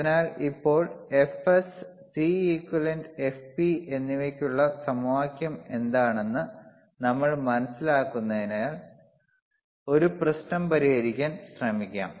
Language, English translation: Malayalam, So, now, since since we kind of understand that what are the equation for f Fs, Cequivalent, Fp, let us try to solve a problem